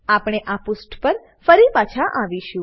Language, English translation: Gujarati, We will come back to this page